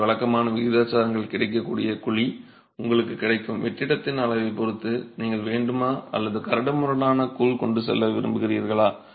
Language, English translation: Tamil, So, typical proportions you will have to take a decision depending on the available cavity, the size of the void that is available to you whether you want to go with a fine grout or you want to go with a coarse grout